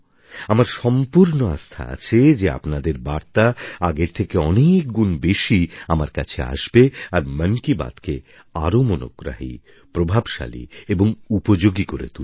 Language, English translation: Bengali, I firmly believe that your ideas and your views will continue reaching me in even greater numbers and will help make Mann Ki Baat more interesting, effective and useful